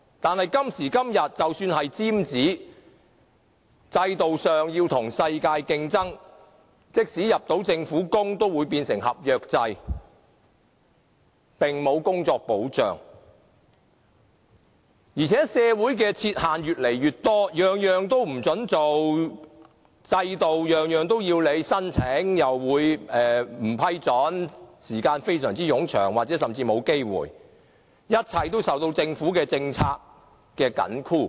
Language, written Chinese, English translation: Cantonese, 可是，今時今日，即使是"尖子"，在制度上，要與世界競爭，即使能進入政府工作，也變成合約制，工作並無保障；而且社會亦設置越來越多限制，任何事也不准做，制度規定任何事也要申請，但申請又可能不獲批准，審批時間非常冗長，或甚至沒有機會成功，一切均受政府政策緊箍。, However even for the outstanding students nowadays they have to compete with counterparts all over the world under the system . Even if they can get a job in the Government they will be under a contract system where there is no job security . Besides there are more and more red tapes in society and people are not allowed to do anything